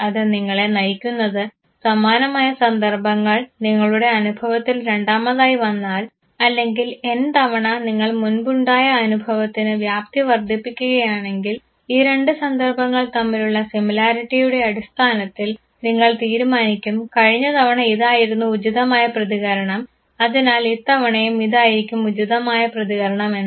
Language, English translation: Malayalam, It should lead you to a point where if there is a similar situation that you are experiencing for the second time or for n number of times you just extend your previous experience and based on the similarity between the two situations you decide last time this was the appropriate response therefore, this time also this is the appropriate response